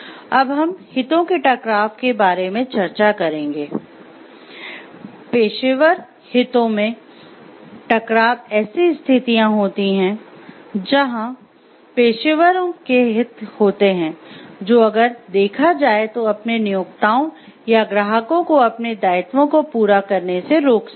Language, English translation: Hindi, Next we will discuss about conflict of interest, professional conflicts of interest are situations, where professionals has an interest that if pursued might keep them from meeting their obligations to their employers or clients